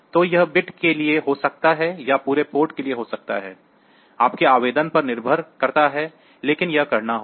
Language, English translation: Hindi, So, it may be to the bit or may be to the entire port; depending upon your application, but that has to done